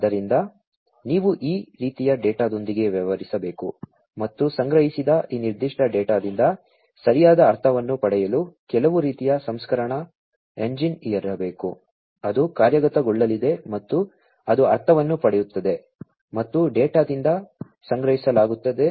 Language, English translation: Kannada, So, you have to deal with this kind of data and in order to get proper meaning out of this particular data that is collected, there has to be some kind of processing engine, that is going to be executed, and that will derive the meaning out of the data, that are collected and received